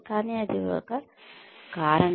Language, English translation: Telugu, But, that is one reason